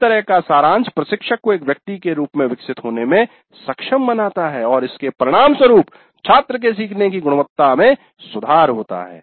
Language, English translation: Hindi, Such summarization enables the instructor to grow as a person and consequently leads to improvement in the quality of student learning